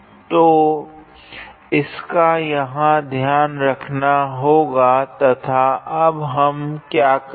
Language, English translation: Hindi, So, that is taken care of here and now what we are going to do